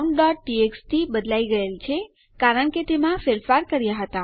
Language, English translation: Gujarati, count.txt has been changed because we have edited it